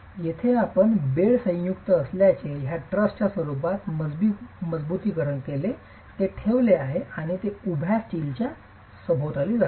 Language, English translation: Marathi, As you see in this picture here, you see that there is bed joint reinforcement in the form of a truss that is placed and that goes around the vertical steel itself